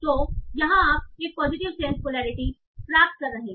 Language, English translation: Hindi, So you are getting a positive polarity